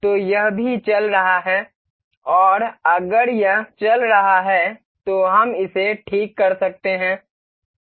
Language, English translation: Hindi, So, it will also be moving and in case if it is floating we can fix this